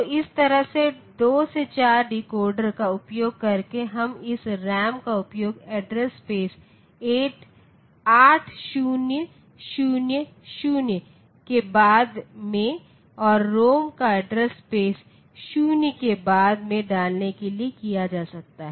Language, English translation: Hindi, So, this is a 2 to 4 decoder so that decoder, so now you see that we can this RAM has been put into the address space 8000 onwards and the ROM has been put into the address space 0 onwards, now I said that there